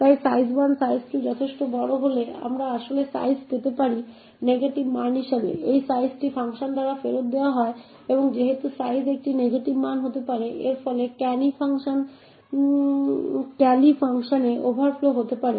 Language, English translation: Bengali, Therefore if size 1 and size 2 is large enough we may actually obtain size to be a negative value this size is what is returned by the function and since size can be a negative value it could result in an overflow in the callee function